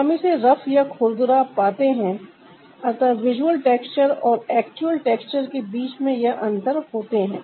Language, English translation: Hindi, so these are the differences between the visual texture and actual texture